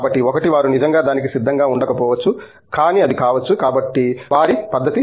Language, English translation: Telugu, So, one is maybe they are not really prepared for it may be, but may be they are, so that is a spectrum